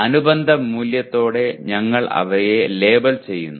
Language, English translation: Malayalam, We label them with corresponding value